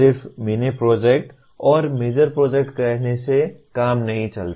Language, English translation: Hindi, Just saying mini project and major project does not work out